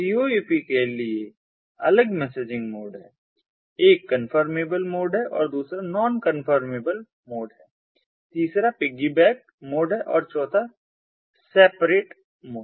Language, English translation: Hindi, one is the confirmable mode, the second is the non confirmable mode, the third is the piggyback mode and the fourth is the separate